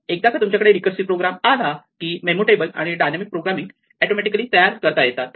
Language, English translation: Marathi, Once you have the recursive program then the memo table and the dynamic programming almost comes out automatically from that